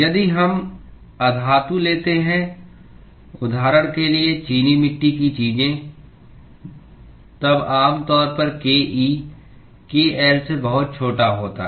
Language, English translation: Hindi, If we take non metals; for example, ceramics, then typically ke is much smaller than kl